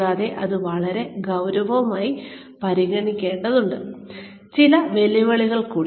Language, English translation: Malayalam, And, that needs to be considered, very very seriously Some more challenges